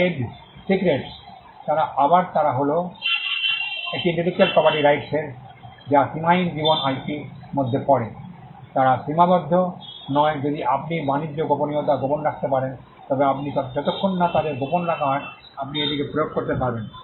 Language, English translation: Bengali, Trade secretes they are again they are a category of an intellectual property right which fall within the unlimited life IP, they are not limited by if you can keep the trade secret a confidential then you can enforce it as long as they are kept confidential